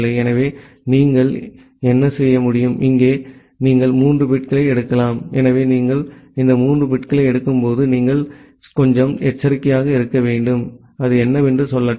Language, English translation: Tamil, So, what you can do, here you can take three bits, so while you are taking this 3 bits, you need to be little cautious, let me say what is that